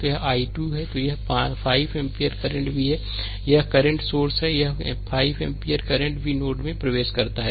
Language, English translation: Hindi, So, this is i 2 then this 5 ampere current also here, this is current source, this 5 ampere current also entering into node 2